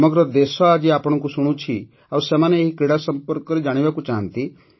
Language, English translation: Odia, The whole country is listening to you today, and they want to know about this sport